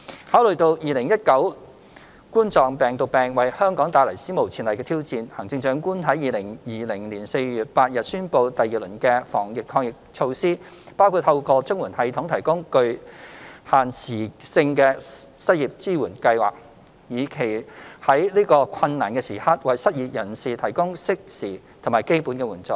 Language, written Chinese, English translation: Cantonese, 考慮到2019冠狀病毒病為香港帶來史無前例的挑戰，行政長官在2020年4月8日宣布第二輪的防疫抗疫措施，包括透過綜援系統提供具限時性的失業支援計劃，以期在此困難時刻為失業人士提供適時和基本的援助。, Having considered the unprecedented challenges posed by the coronavirus disease 2019 COVID - 19 in Hong Kong the Chief Executive announced on 8 April 2020 the second round of anti - epidemic initiatives including the provision of a time - limited unemployment support scheme through the CSSA system with a view to providing timely and basic assistance to unemployed persons during this difficult time